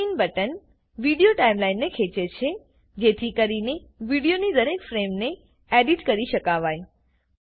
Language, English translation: Gujarati, The Zoom In button stretches the Video Timeline so that each frame of the video can be edited